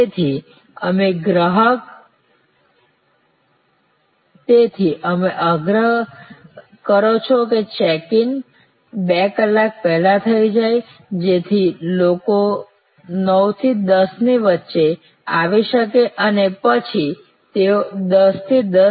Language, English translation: Gujarati, So, you insist that checking is two hours before, so the people can arrive between 9 and 10 and then they can travel to the gate between 10 and 10